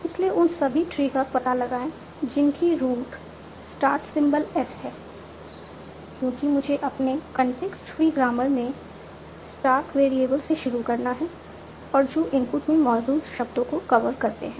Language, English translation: Hindi, So, so find out all trees whose root is the short symbol S, because I have to start with a start variable in my context programmer and which cover exactly the words in the input